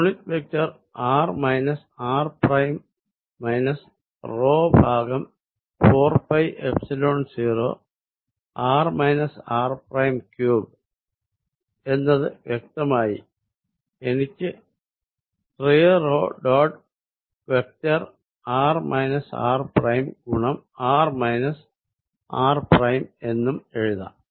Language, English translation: Malayalam, Unit vector r minus r prime minus p divided by 4 pi Epsilon 0 r minus r prime cubed, which explicitly I can also write as 3 p dot vector r minus r prime multiplied by vector r minus r prime